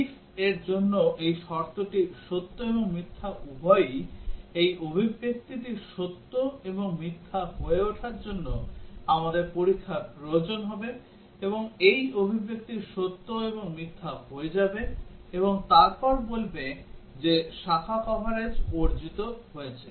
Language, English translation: Bengali, This condition for the ‘if’ is both true and false, we will need that the test cases would achieve for this expression to become true and false and this expression to become true and false and then will say that branch coverage is achieved